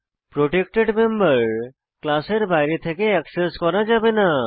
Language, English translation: Bengali, Protected specifier Protected members cannot be accessed from outside the class